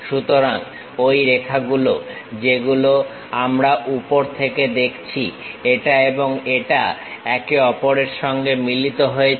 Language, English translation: Bengali, So, those lines what we have seen top, this one and this one coincides with each other